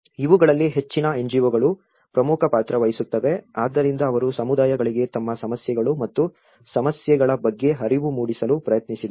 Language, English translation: Kannada, These were the most of the NGOs plays an important role, so they tried to make the communities aware of their own problems and the issues